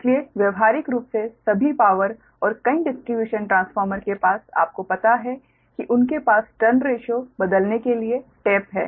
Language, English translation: Hindi, so, practically all pow, all power and many distribution transformer, they have the, you know, ah, they, you have the taps for changing the turns ratio